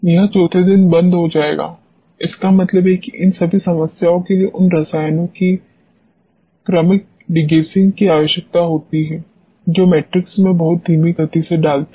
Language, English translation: Hindi, It will close on the fourth day so; that means, all this problems requires sequential degassing of the you know chemicals which are being input in the matrix at a very slow rate